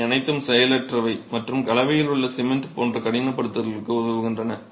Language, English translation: Tamil, These are all inert and help in the process of hardening like the cement in the composite